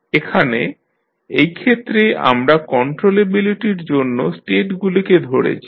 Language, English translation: Bengali, Here in this case, we considered states for the controllability